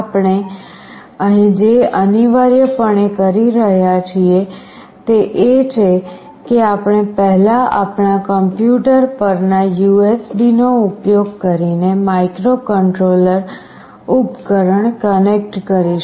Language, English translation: Gujarati, What we are essentially doing here is that we will connect first the device, the microcontroller, using the USB to our PC